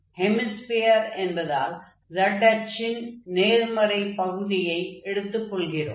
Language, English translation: Tamil, And since it is a hemisphere we are taking z in the positive axis